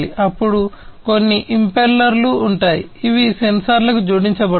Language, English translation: Telugu, Then there would be some impellers, which would be attached to the sensors